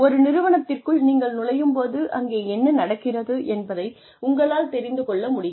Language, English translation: Tamil, When you come into the organization, you are able to, know what is going on